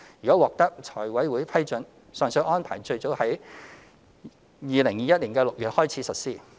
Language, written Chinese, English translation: Cantonese, 如獲財委會批准，上述安排最早可於2021年6月起實施。, Subject to FCs approval the above mentioned arrangements can be implemented in June 2021 at the soonest